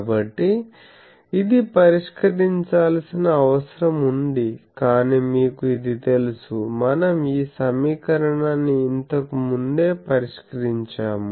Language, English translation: Telugu, So, this needs to be solved, but you know this, already we have solved this equation earlier